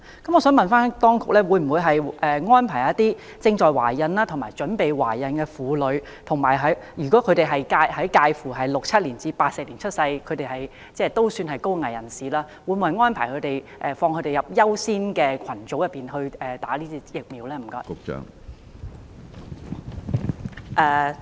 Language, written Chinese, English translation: Cantonese, 我想問當局，對於那些已懷孕或準備懷孕的婦女，以及介乎1967年至1984年出生的高危人士，當局會否把他們納入優先接種疫苗的群組內？, My question for the authorities is Will priority be accorded to women who are pregnant or planning for pregnancy and high - risk people born between 1967 and 1984 for measles vaccination?